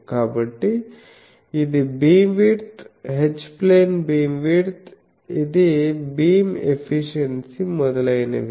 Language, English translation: Telugu, So, this is the beam width, H plane beam width, this is beam efficiency etc